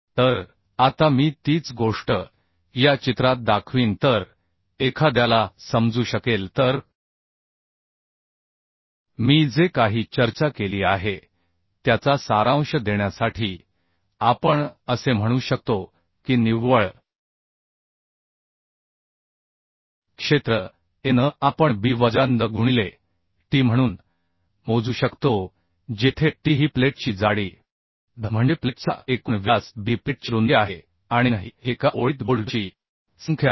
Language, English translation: Marathi, so just to give the summary of the things, whatever I have discussed, we can say that the net area, Anet, we can calculate as b minus ndh into t, where t is the thickness of the plate, dh is the gross diameter of the plate, b is the width of the plate and n is the number of bolts in one line